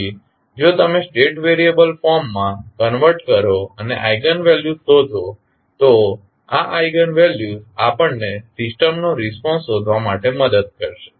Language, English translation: Gujarati, So, if you converted into State variable firm and find the eigenvalues these eigenvalues will help us in finding out the response of the system